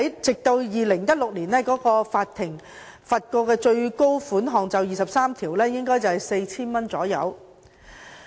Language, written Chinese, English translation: Cantonese, 直至2016年，法庭就《條例》第23條判處的最高罰款約 4,000 元。, Up till 2016 the maximum penalty imposed by the court in respect of section 23 of the Ordinance was 4,000